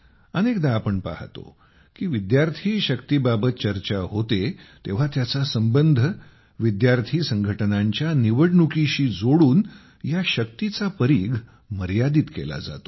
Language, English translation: Marathi, Many times we see that when student power is referred to, its scope is limited by linking it with the student union elections